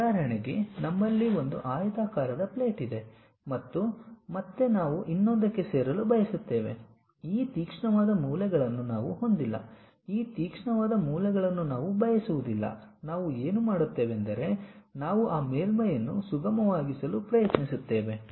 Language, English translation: Kannada, For example, we have a plate, a rectangular plate and again we want to join by another one, we have this sharp corners we do not want that sharp corners, what we do is we try to remove that surface make it something like smooth